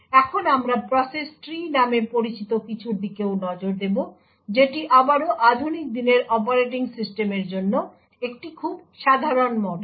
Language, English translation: Bengali, Now we will also look at something known as the process tree, which is again a very common model for most modern day operating system